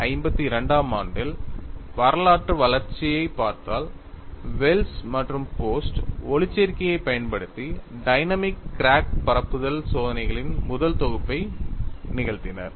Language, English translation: Tamil, And if you look at the historical development in 1952, Wells and post perform the first set of dynamic crack propagation experiment using photo elasticity